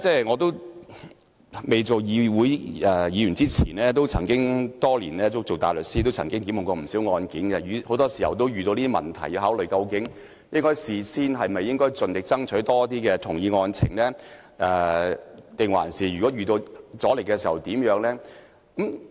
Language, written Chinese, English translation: Cantonese, 我未擔任立法會議員前，曾經是執業大律師，多年來處理過不少案件，很多時候也要考慮，應否事先盡力爭取多一些同意案情，遇到阻力的話又要怎樣做。, Before I became a Legislative Council Member I had been a practising barrister . I had handled many cases over the years . More often than not I had to consider whether I should strive to establish more agreed facts in advance and what I should do if my proposal met with resistance